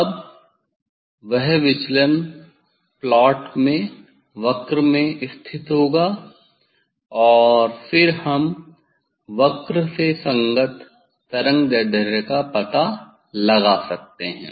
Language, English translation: Hindi, Now, that deviation will put in the plot in the curve that is calculation curve and then corresponding wavelength we can find out from the curve